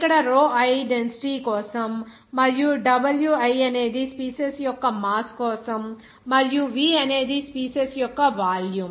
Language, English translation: Telugu, Here rho i is for density and Wi is for the mass of the species and V is the volume of the species